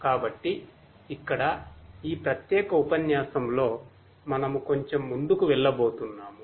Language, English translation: Telugu, So, here in this particular lecture, we are going to go little bit further